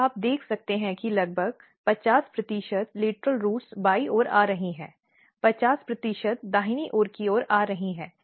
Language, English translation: Hindi, So, you can see that around 50 percent lateral roots are coming towards left side, 50 percents are coming towards right side